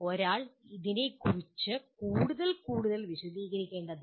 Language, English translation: Malayalam, One does not have to elaborate more and more on that